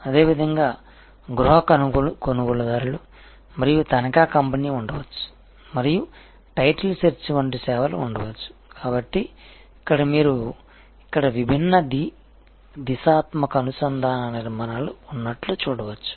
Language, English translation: Telugu, Similarly, there can be home buyer and the mortgage company and there can be services like the title search, so again you see there are different bidirectional linkage formations here